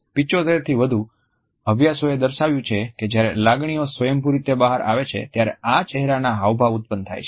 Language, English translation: Gujarati, Over 75 studies have demonstrated that these very same facial expressions are produced when emotions are elicited spontaneously